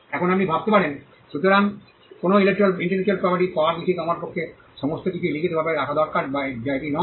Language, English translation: Bengali, Now you may be wondering; so, is it easy to get an intellectual property right I just need to put everything in writing that is not the case